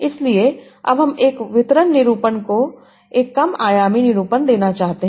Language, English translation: Hindi, So now, I want give a low dimension representation, a distributed representation